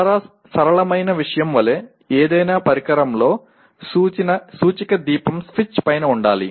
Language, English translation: Telugu, Like very simple thing, the indicator lamp on any instrument should be above the switch